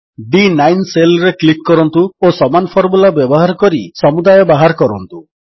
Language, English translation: Odia, Click on the cell referenced as D9 and using the same formula find the total